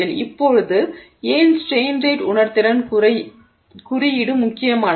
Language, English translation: Tamil, So, now why is this strain rate sensitivity index important